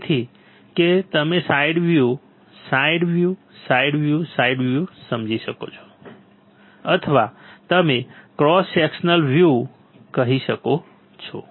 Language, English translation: Gujarati, So, that you can understand side view, side view, side view, side view or you can say cross sectional, cross sectional view